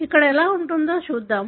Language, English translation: Telugu, Let’s see like here